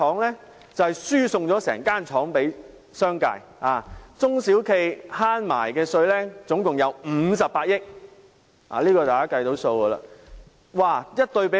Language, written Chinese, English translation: Cantonese, 因為它輸送了整間工廠予商界，免卻了中小企共58億元的稅款。, Because it gave a whole factory to the business sector by waiving small and medium enterprises 5.8 billion in tax revenue